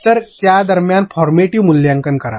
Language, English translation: Marathi, So, do that in between have formative assessment